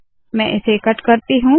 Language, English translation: Hindi, Let me cut this